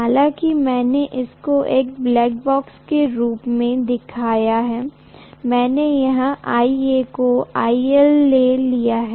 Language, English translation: Hindi, Although I have shown that as a black box, I have taken as though IA is IL